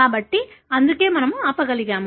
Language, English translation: Telugu, So, that’s why we are able to stop